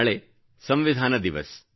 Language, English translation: Kannada, Yes, tomorrow is the Constitution Day